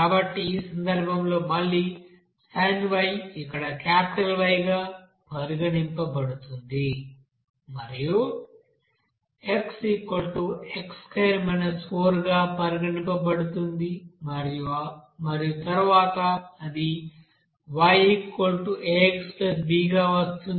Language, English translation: Telugu, So in this case again sin to be considered as capital Y here and x square minus 4 will be considered as X and then simply it will be coming as Y = aX + b